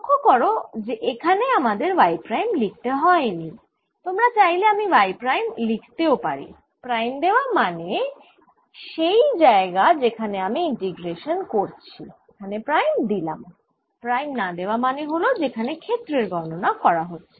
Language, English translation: Bengali, notice that i did not have to write prime out here, but if you like i can write prime here, prime here denoting that prime is actually where i am integrating and prime here and no unprimed variables are those where i am calculating